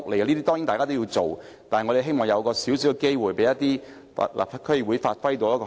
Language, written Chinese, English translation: Cantonese, 這些當然也是要做的，但我們希望有機會讓區議會發揮功能。, But we also hope that apart from engaging in these common projects DCs can have the opportunity to effectively perform their functions